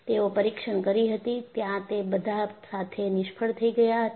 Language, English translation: Gujarati, So, they had done the test; with all that, there was failure